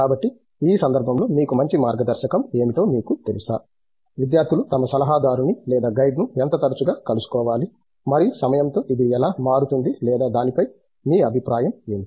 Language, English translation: Telugu, So in this context, what do you think is a you know good guideline for; how often students should be meeting their adviser or guide and how does it maybe change with time or what is your opinion on this